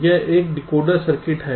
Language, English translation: Hindi, this is a decoder circuit